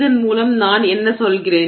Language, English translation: Tamil, What do I mean by that